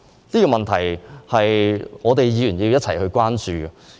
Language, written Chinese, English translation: Cantonese, 這個問題是需要議員一同關注的。, This issue should be of concern to all Members